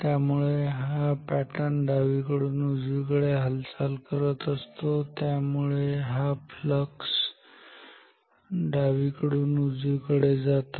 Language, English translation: Marathi, So, this plus pattern is moving from left to right, so flux pattern is moving from left to right ok